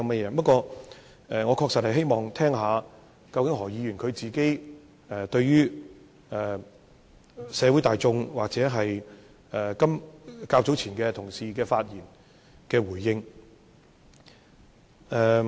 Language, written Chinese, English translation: Cantonese, 不過，我確實希望聽聽，究竟何議員會如何回應社會大眾，或同事較早前的發言。, However I really hope to know how exactly Dr HO would respond to the general public or the speeches made by my colleagues earlier on